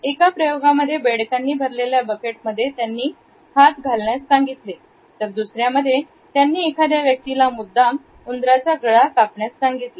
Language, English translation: Marathi, An experiment included putting once hands in a bucket full of live frogs and ultimately he asked a person to deliberately cut the throat of a mouse or a rodent